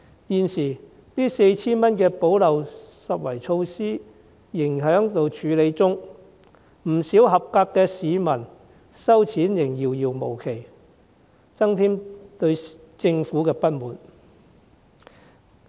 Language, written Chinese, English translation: Cantonese, 現時，這 4,000 元的補漏拾遺措施仍在處理中，不少合資格的市民收錢仍遙遙無期，徒添對政府的不滿。, Now the 4,000 gap - plugging initiative is still being processed there is still no definite date for eligible people to receive the money and thus discontent with the Government has unnecessarily arisen